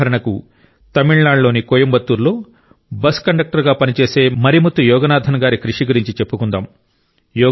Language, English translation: Telugu, For example, there isMarimuthuYoganathan who works as a bus conductor in Coimbatore, Tamil Nadu